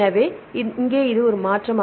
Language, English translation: Tamil, So, here this is the change